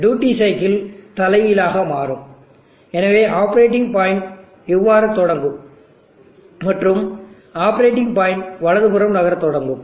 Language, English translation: Tamil, So the duty cycle will reverse, so the operating point will start like this and the operating power point will start moving to the right